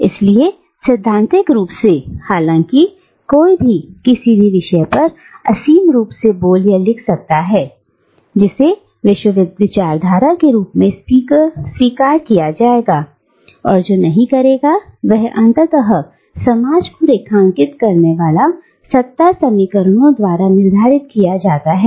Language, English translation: Hindi, So, theoretically, though anyone can speak or write infinitely, on any given topic under the sun, what will be accepted as discourse, and what will not, is ultimately determined by the power equations that underline the society